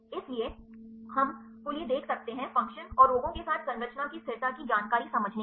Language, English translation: Hindi, So, we can see to understand the structure stability information with the function and diseases